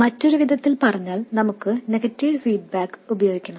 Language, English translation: Malayalam, In other words we have to use negative feedback